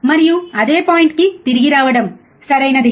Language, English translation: Telugu, And coming back to the same point, right